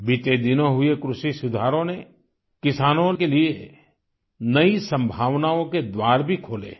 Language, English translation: Hindi, The agricultural reforms in the past few days have also now opened new doors of possibilities for our farmers